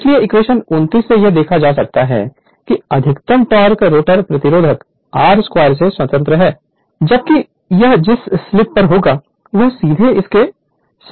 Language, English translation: Hindi, So, equation 20 nine from equation 29, it can be observed that the maximum torque is independent of the rotor resistance right r 2 dash while the slip at which it occurs is directly proportional to it right